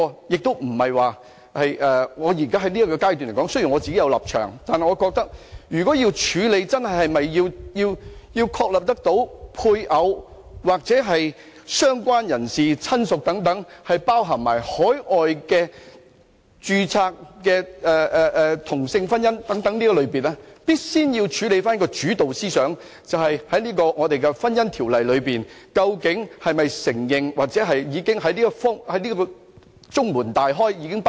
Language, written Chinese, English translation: Cantonese, 雖然我在此階段是有立場，但我覺得如果要處理是否真的在"配偶"、"相關人士"或"親屬"等定義上，包含海外註冊的同性婚姻，我們必須先處理主導思想，即香港的《婚姻條例》究竟是否承認同性婚姻，或已經"中門大開"、包容了這一點。, Although I have a position at this stage I think that if we must deal with whether the definition of spouse related person or relative should cover same - sex marriage registered overseas we must first of all deal with the guiding principle that is whether or not the Marriage Ordinance in Hong Kong recognizes same - sex marriage or whether or not we should welcome this point with open arms